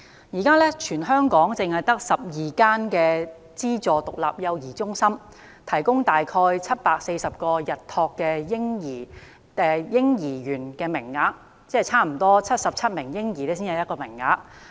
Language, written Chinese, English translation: Cantonese, 現時全港只有12間資助獨立幼兒中心，提供大概740個日託嬰兒園名類，即差不多每77名嬰兒才有1個名額。, With only 12 subsidized independent child care centres offering approximately 740 day care places in Hong Kong equivalent to 1 place for almost 77 babies